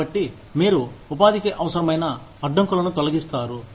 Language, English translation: Telugu, So, you remove, the unnecessary barriers to employment